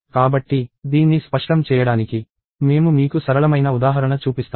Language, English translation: Telugu, So, I will show you simple example to make this clear